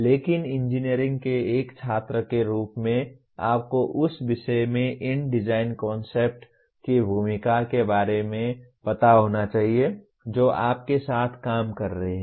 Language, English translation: Hindi, But as a student of engineering one should be aware of the role of these design concepts in the subject that you are dealing with